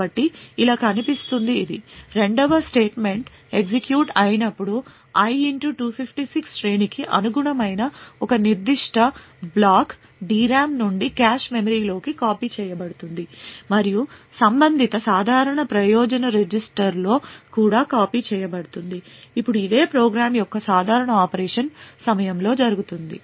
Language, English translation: Telugu, So it would look something like this, when the second statement gets executed a particular block corresponding to array[i * 256] would be copied from the DRAM into the cache memory and also be copied into the corresponding general purpose register, now this is what happens during the normal operation of the program